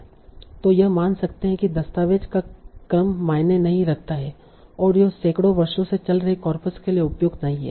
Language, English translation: Hindi, So it assumes that the order of document does not matter and this is not appropriate for the corpora that are spanning for hundreds of years